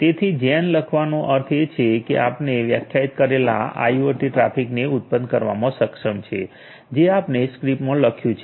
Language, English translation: Gujarati, So, after writing gen so, it means it is enabling to generate the IoT traffic which we have defined at the we have written in the script